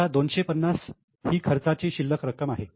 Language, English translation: Marathi, This 250 rupees is a balance of expenses